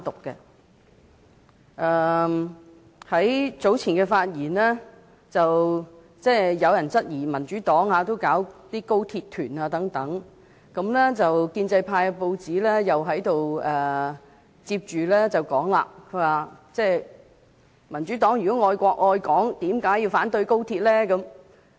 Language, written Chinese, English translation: Cantonese, 在較早前的發言中，有人質疑民主黨也舉辦高鐵團，而親建制派的報章也說，如果民主黨愛國愛港，為何要反對高鐵呢？, In the speech delivered by a Member earlier he cast doubt on the Democratic Party in also organizing some tours on Guangzhou - Shenzhen - Hong Kong Express Rail Link XRL . And the newspaper of the pro - establishment camp also asks why the Democratic Party has to oppose XRL if it loves Hong Kong